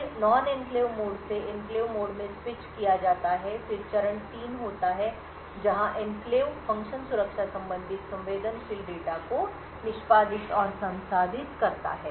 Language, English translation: Hindi, Then there is switch from the non enclave mode into the enclave mode then the step 3 is where the enclave function executes and processes the security related sensitive data